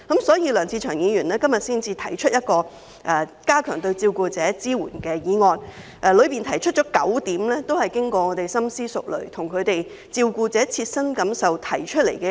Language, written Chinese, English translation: Cantonese, 所以，梁志祥議員今天提出"加強對照顧者的支援"議案，當中提出的9項建議都是經過我們深思熟慮，基於照顧者切身感受而提出的。, For this reason Mr LEUNG Che - cheung proposes the motion on Enhancing support for carers today and the nine proposals therein were made after our careful consideration based on the carers personal feelings